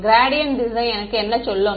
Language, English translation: Tamil, What will the gradient direction tell me